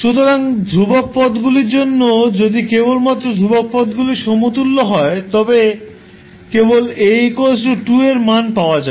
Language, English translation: Bengali, So, for constant terms, if you equate the only constant terms, you will simply get the value of A that is equal to 2